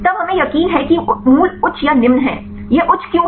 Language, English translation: Hindi, Then we are sure that the values are high or low; why it is high